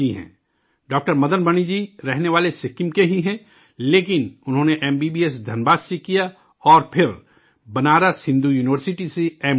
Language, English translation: Urdu, Madan Mani hails from Sikkim itself, but did his MBBS from Dhanbad and then did his MD from Banaras Hindu University